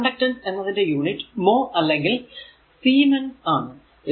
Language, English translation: Malayalam, So, the unit of conductance is mho or siemens